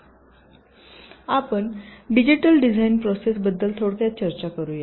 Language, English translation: Marathi, so lets briefly talk about the digital design process